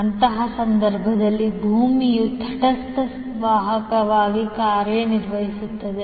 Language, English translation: Kannada, So in that case the earth itself will act as a neutral conductor